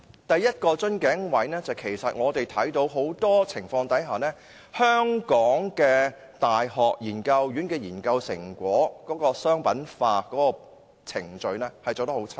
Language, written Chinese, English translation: Cantonese, 第一，在很多情況下，香港的大學研究院的研究成果商品化程序做得很差。, First in many cases the commercialization process of the research results of university research institutes in Hong Kong has been poorly performed